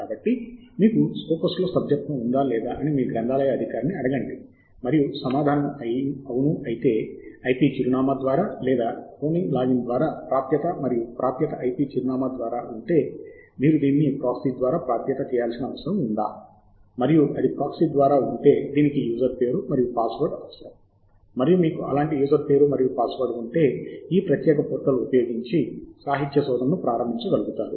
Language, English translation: Telugu, we must obviously ask whether we have access to the scope as a tool, so please do ask your librarian if you have subscription for Scopus, and if yes, then either access via an IP address or a low bromine login, and if the access is through IP address, whether do you need to access it through a proxy, and if it is through proxy, then whether it needs a username and password, and whether you have such a username and password with you to be able to start these literacy survey using this particular portal